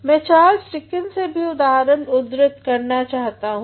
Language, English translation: Hindi, I can also cite an example given by Charles Dickens